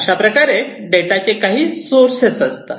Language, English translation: Marathi, So, these are some of the sources of data